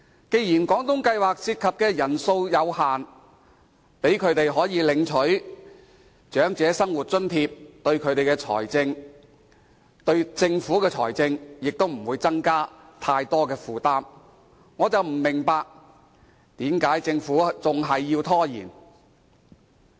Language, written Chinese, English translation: Cantonese, 既然廣東計劃涉及的人數有限，讓他們領取長生津的話，其實對政府的財政也不會造成更大負擔，我不明白為何政府還要拖延。, Considering the limited number of beneficiaries under the Guangdong Scheme the financial burden on Government is not going to be heavier if they are allowed to receive OALA . I do not understand why the Government has to resort to procrastination